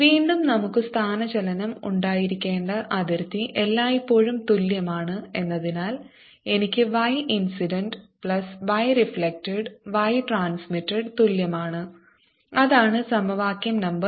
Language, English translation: Malayalam, since that the boundary we should have, the displacement is same all the time, i should have y incident plus y reflected is equal to y transmitted